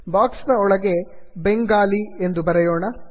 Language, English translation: Kannada, Inside this box lets type Bengali